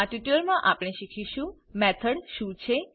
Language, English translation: Gujarati, In this tutorial we will learn What is a method